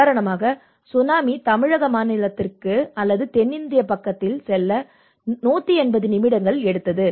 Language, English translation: Tamil, For instance, the same tsunami it took 180 minutes to get into the Tamil Nadu state or in the southern Indian side